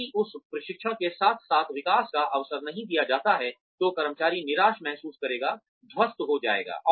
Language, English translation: Hindi, If opportunity for growth is not given, along with that training, then the employee will feel, disheartened, demotivated